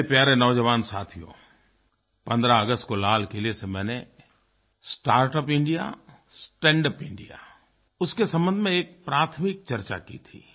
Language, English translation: Hindi, My dear young friends, I had some preliminary discussions about "Startup India, Standup India" in my speech on 15th August from the Red Fort